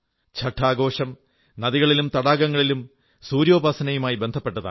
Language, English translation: Malayalam, Chhath festival is associated with the worship of the sun, rivers and ponds